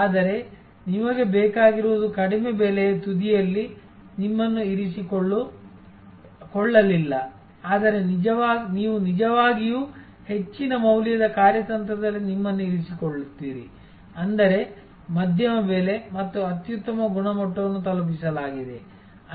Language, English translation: Kannada, But, you need did not therefore position yourself at a low price end, but you put actually position yourself at a high value strategy; that means, medium price and excellent quality delivered